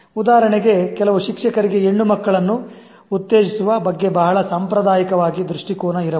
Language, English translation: Kannada, So the teacher has a very conservative outlook towards promoting girls students, for example